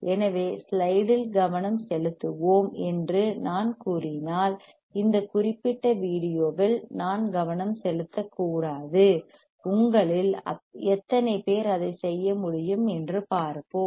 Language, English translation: Tamil, So, if I am saying that let us focus on the slide we should not focus on this particular video; let us see how many of you can do that